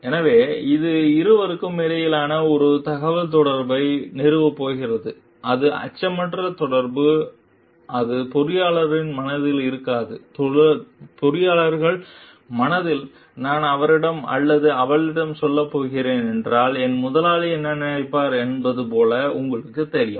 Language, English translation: Tamil, So, that is going to establish a communication between the two a fearless communication like then it will not be there in the engineers mind you know engineers mind like what the my boss will think if I am going to tell him or her that